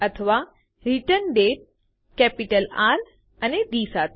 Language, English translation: Gujarati, Or ReturnDate with a capital R and D